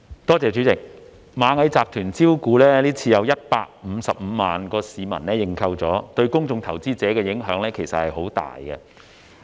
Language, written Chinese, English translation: Cantonese, 代理主席，今次螞蟻集團招股，有155萬名市民申請認購，對公眾投資者的影響其實很大。, Deputy President the IPO of Ant Group had huge impact on public investors as it attracted 1.55 million people to apply for subscription